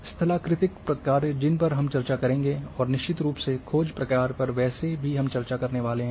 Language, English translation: Hindi, And topographical functions which we will discuss, and of course the search function we have been anyway discussing all these